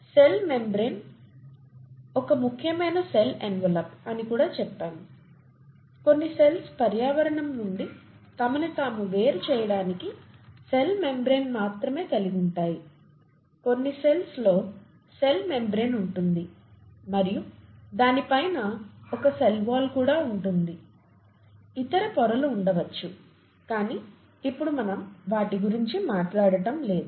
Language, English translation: Telugu, And then we also said that lipids form an important component of the membrane, of the cell membrane, cell membrane is an important cell envelope; some cells have only a cell membrane to distinguish themselves from the environment, some cells have a cell membrane and on top of that a cell wall too, and maybe there are other layers, that we’re not talking about now, (we’re) let’s not get into that